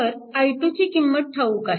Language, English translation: Marathi, So, from this i 2 is known